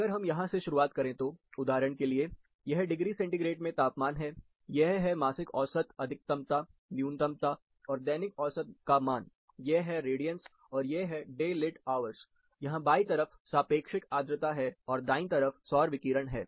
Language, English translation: Hindi, If you start from this, for example, this is the temperature, in temperature degree centigrade, this is the monthly mean maxima, minima, and the daily mean value, and this is radiance, and this is the daily towers, on the left side, here you find the relative humidity, and on the right side, we have the solar radiation